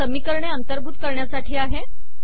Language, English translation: Marathi, This is including equations